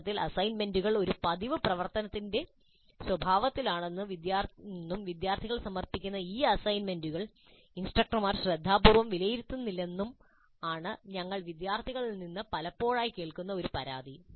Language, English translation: Malayalam, In fact, a complaint that we often hear from students is that the assignments are more in the nature of a routine activity and these assignments submitted by the students are not really evaluated carefully by the instructors